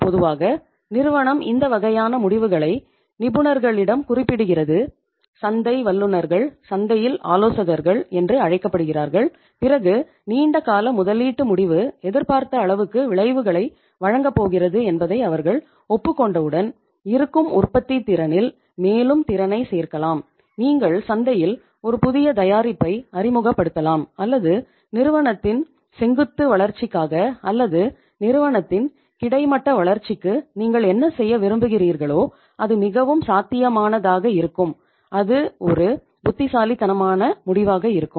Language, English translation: Tamil, Normally, the firm refers this kind of decisions to the experts, market experts so which you can call it the consultants in the market and once they approve that yes your long term investment decision is going to deliver the results you can add the capacity to the existing production capacity, you can introduce a new product in the market or you can go for say say uh say you can call it as the vertical uh growth of the company or the horizontal growth of the company whatever you want to do thatís going to be quite feasible and thatís going to be a wise decision